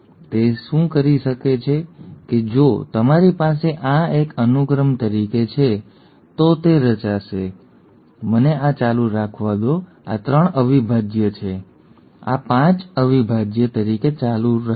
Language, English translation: Gujarati, So what it does is that if you have this as a sequence, it will form, let me continue this, this is 3 prime, this continues as 5 prime